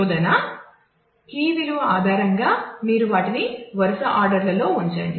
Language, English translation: Telugu, So, based on the value of the search key you put them in the sequential orders